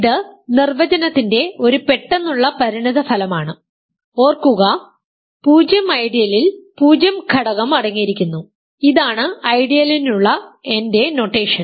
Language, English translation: Malayalam, This is also an immediate consequence of the definition, remember 0 ideal consists of just the zero element, this is my notation for ideal